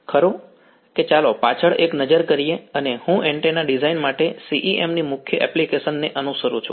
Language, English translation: Gujarati, Right so, let us have a look at the back and I follow the major application of CEM for antenna design right